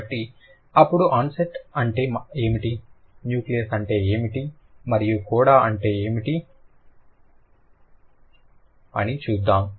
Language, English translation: Telugu, So, now let's see what is an onset, what is a nucleus and what is a coda